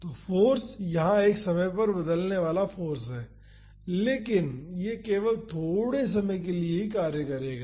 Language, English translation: Hindi, So, the force is a time varying force, but it will act only for a short duration